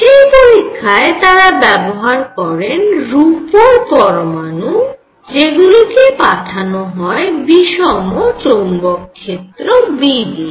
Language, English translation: Bengali, In which they took silver atoms, their beam and they passed it through an inhomogeneous B, inhomogeneous magnetic field